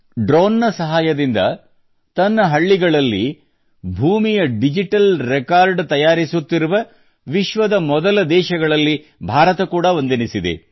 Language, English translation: Kannada, India is one of the first countries in the world, which is preparing digital records of land in its villages with the help of drones